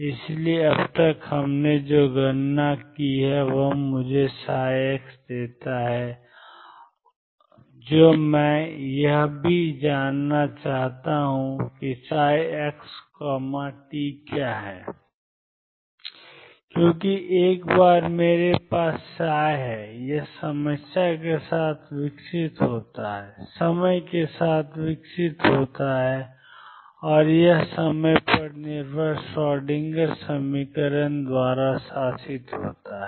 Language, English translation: Hindi, So, so far what we have calculated it this gives me psi x, what I also want to know is what is psi x t because once I have a psi it evolves with time and that is governed by time dependent Schroedinger equation